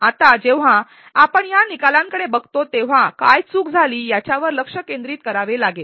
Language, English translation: Marathi, Now when we look at this result, we are forced to ask as to what went wrong